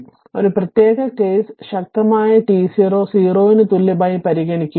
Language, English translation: Malayalam, Now, therefore, consider a special case for t equal t 0 equal to 0